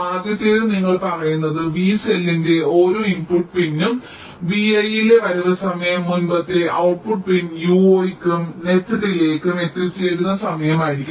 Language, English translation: Malayalam, the first one is you are saying that for every input pin of cell v, the arrival time at v i will be the arrival time at the previous output pin u zero plus the net delay